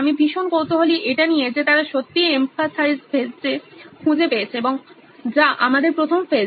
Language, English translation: Bengali, I am very curious on what they really found out in the empathize phase which is our first phase